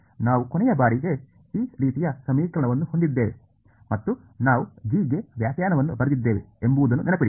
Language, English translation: Kannada, Remember we had last time an equation like this and we wrote a definition for g